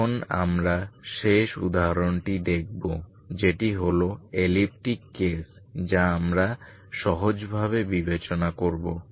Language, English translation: Bengali, Now we look at the last example that is elliptic case we consider simply you consider reduce